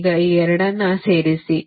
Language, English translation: Kannada, now do add these two